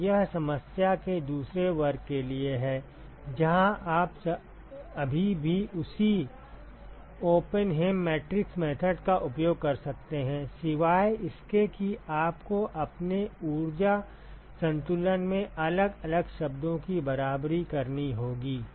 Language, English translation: Hindi, So, this is for the second class of problem where you can still use the same Oppenheim matrix method except that you will have to equate different terms in your energy balance